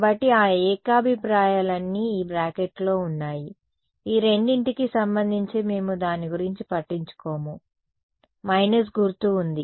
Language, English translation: Telugu, So, all those consensus are inside this bracket we do not care about it relative to these two there is a minus sign ok